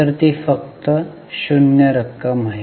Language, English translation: Marathi, So, it comes to 0